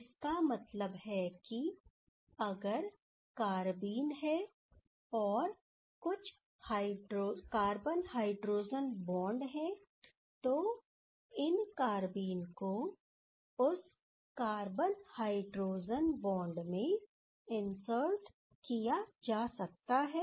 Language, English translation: Hindi, What does it mean that if there is some carbenes is there, and there is some as for example some carbon hydrogen bonds is there, these carbene can be inserted into that carbon hydrogen bond